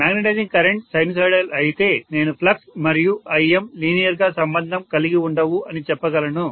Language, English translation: Telugu, If magnetizing current is sinusoidal, I can say flux and im are not linearly related